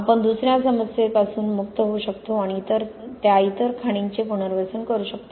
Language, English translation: Marathi, We can also get rid of another problem and rehabilitate those other quarries